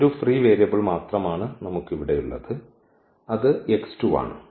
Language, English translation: Malayalam, These are the pivot elements and the free variable we have only one that is here x 2